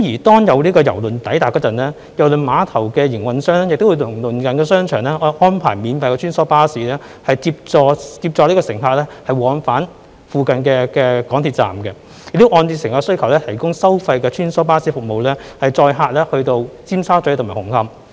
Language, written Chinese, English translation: Cantonese, 當有郵輪抵達時，郵輪碼頭的營運商會與鄰近的商場安排免費穿梭巴士，接載乘客往返附近的港鐵站，亦會按照乘客的需求提供收費的穿梭巴士服務，載客到尖沙咀和紅磡。, Upon the arrival of a cruise vessel the Cruise Terminal operator will arrange free shuttle buses with the nearby shopping malls to take passengers to and from the nearby MTR stations . Paid shuttle bus services to Tsim Sha Tsui and Hung Hom will also be provided according to the needs of the passengers